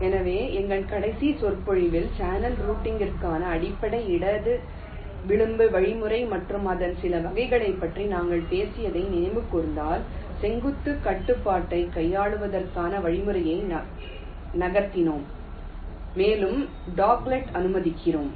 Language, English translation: Tamil, so in our last lecture, if we recall, we had talked about the basic left edge algorithm for channel routing and some of its variants, where we extended the algorithm move to handle the vertical constraint and also to allow for the dog legs